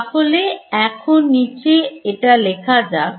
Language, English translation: Bengali, So, let us write it down over here